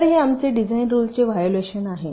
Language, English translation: Marathi, so this is our design rule violation